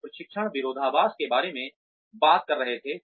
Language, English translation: Hindi, We were talking about training paradox